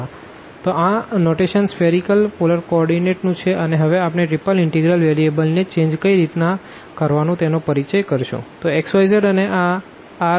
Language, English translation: Gujarati, So, with this notation of the spherical polar coordinates we will now introduce the change of variables in triple integral